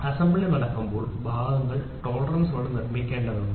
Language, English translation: Malayalam, When assembly has to happen parts have to be produced with tolerance